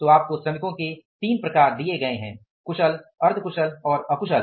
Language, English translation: Hindi, So, you are given the three set of the workers skilled, semi skilled and unskilled